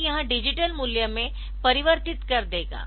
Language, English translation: Hindi, So, it will be converting into a digital value